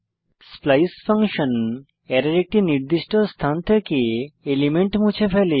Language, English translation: Bengali, splice function removes an element from a specified position of an Array